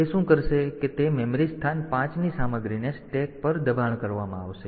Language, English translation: Gujarati, So, what it what it will do the content of memory location 5 will be pushed on to the stack